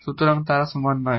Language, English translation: Bengali, So, they are not equal